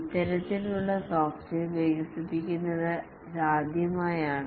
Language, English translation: Malayalam, It's possibly the first time that this kind of software is being developed